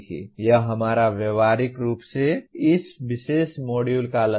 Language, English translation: Hindi, That is our, the practically the goal of this particular module itself